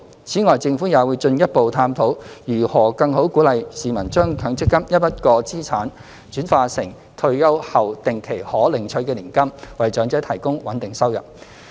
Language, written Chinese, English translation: Cantonese, 此外，政府也會進一步探討如何更好鼓勵市民將強積金一筆過資產轉化成退休後定期可領取的年金，為長者提供穩定收入。, Moreover the Government will further explore ways to better encourage the public to convert their one - off assets under MPF into an annuity which they can receive on a regular basis after retirement so as to provide a steady income for the elderly . The public annuity programme has been operating for about three years